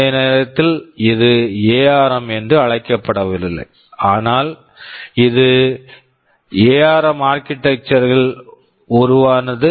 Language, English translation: Tamil, ISo, it was not called armed ARM during that time, but it evolved into the ARM architecture